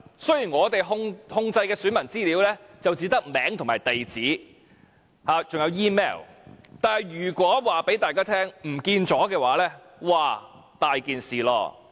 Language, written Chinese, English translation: Cantonese, 雖然我們控制的選民資料只有姓名、地址和 email， 但如果告訴大家遺失了這些資料，這可大件事了。, Despite the fact that the information only involves the name address and email of the electors it is still a serious matter if the information is lost